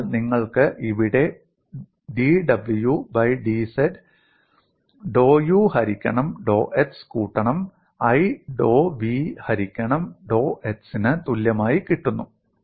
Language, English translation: Malayalam, So what you get here is dw by dz becomes equal to dou u by dou x plus i dou v by dou x